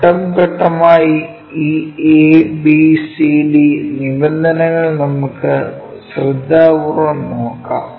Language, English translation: Malayalam, Let us carefully look at these ABCD terms step by step